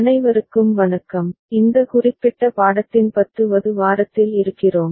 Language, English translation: Tamil, Hello everybody, we are in week 10 of this particular course